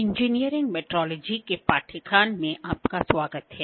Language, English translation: Hindi, Welcome back to the course on Engineering Metrology